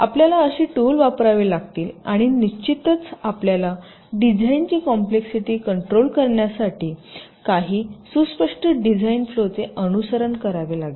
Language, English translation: Marathi, you will have to use such tools and, of course, you will have to follow some well defined design flow in order to control and manage the complexity of the designs